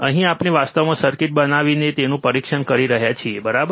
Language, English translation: Gujarati, Here we are actually testing it by making the circuit, right